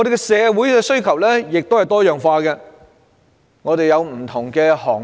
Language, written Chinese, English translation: Cantonese, 社會的需求也多樣化，有各種不同的行業。, Society also has a myriad of demands and there are different sectors